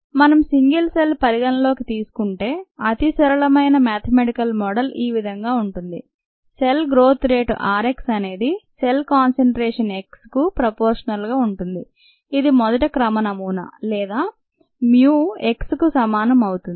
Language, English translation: Telugu, if we consider single cell, the simplest mathematical representation or a mathematical model is as follows: the rate of cell growth, as given by r x, is directly proportional to the cell concentration, x, first order model, or equals a certain mu into x